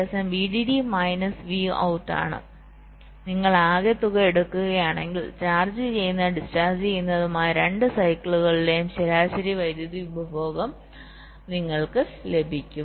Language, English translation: Malayalam, so if you take the sum total you will get the average power consumption over both the cycles, charging and discharging